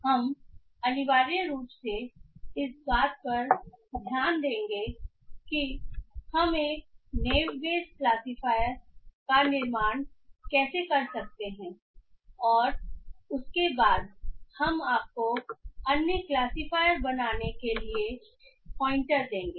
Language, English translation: Hindi, So we will essentially look into how we can build a Neubert classifier and after that we will just give you pointers towards how to build other classifiers